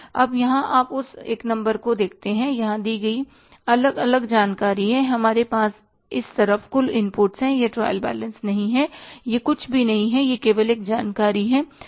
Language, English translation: Hindi, Now here you look at that number one here is that is the different information given here is we have on this side the total inputs means it is not a trial balance is nothing is only a information